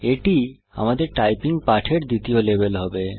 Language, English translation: Bengali, This will be the second level in our typing lesson